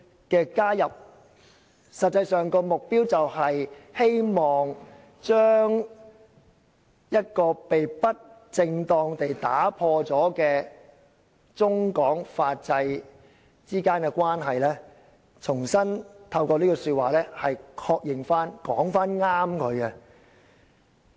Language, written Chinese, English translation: Cantonese, "加入這句的實際目標，是希望將一段被不正當地破壞的中港法制之間的關係，重新透過這句話獲得確認及正確表達。, The real purpose of adding this provision is to affirm and accurately express the legal relationship between China and Hong Kong which has been improperly damaged